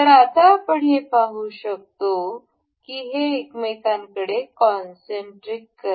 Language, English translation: Marathi, Now, we can see this is concentric to each other